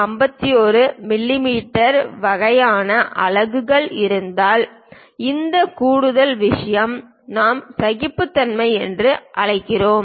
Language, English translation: Tamil, 51 mm kind of units this extra thing what we call tolerances